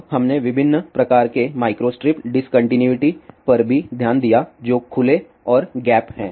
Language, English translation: Hindi, Then we also looked at different types of micro strip discontinuities which are open and gap